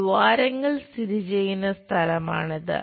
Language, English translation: Malayalam, The holes this is the place where holes are located